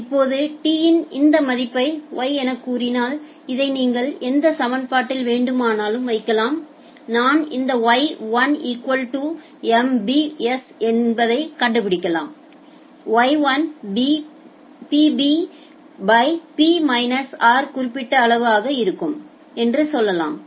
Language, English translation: Tamil, Now putting this value of t at say Y, you can put it in any of this equation you can find out say if I write it as Y1 equal to MBS Y1 will be Pb by P minus r this particular quantity